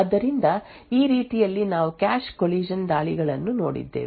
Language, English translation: Kannada, So, in this way we had looked at cache collision attacks